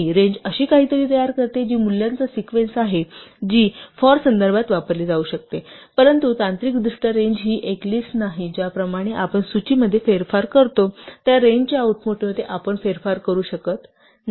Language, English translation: Marathi, So, range produces something which is a sequence of values which can be used in context like a 'for', but technically the range is not a list, we cannot manipulate the output of range the way we manipulate the list